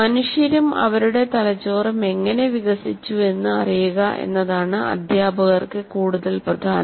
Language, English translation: Malayalam, So what is more important is for teachers to know how humans and their brains develop